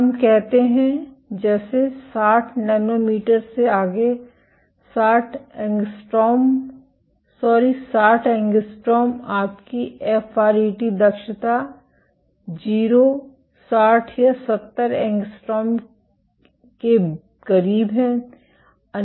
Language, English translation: Hindi, Let us say beyond 60 nanometers 60 angstrom sorry 60 angstrom your fret efficiency is close to 0, 60 or 70 angstroms